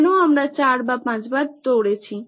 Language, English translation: Bengali, Why we ran 4 or 5 times